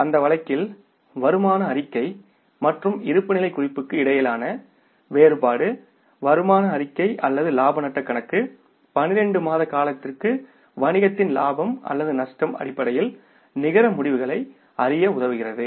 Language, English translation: Tamil, So, in that case, the difference between the income statement and the balance sheet is income statement or the profit and loss account helps us to know the net results of the business in terms of its profit or loss for a period of 12 months